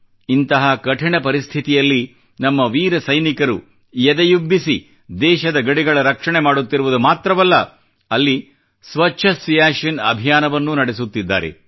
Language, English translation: Kannada, In such a difficult situation, our brave heart soldiers are not only protecting the borders of the country, but are also running a 'Swacch Siachen' campaign in that arena